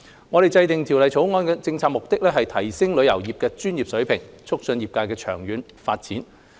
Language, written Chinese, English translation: Cantonese, 我們制訂《條例草案》的政策目的，是提升旅遊業界的專業水平，促進業界的長遠發展。, We have prepared the Bill with the policy objectives of enhancing the professionalism of the industry and promoting its long - term development